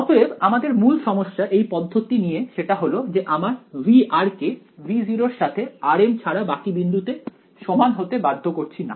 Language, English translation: Bengali, So, the problem main problem with this approach is that we are not enforcing V of r is equal to V naught at points other than r m right